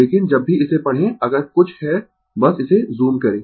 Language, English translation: Hindi, But, whenever you read it, if you have anything just simply you zoom it